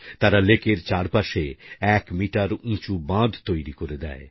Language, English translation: Bengali, They built a one meter high embankment along all the four sides of the lake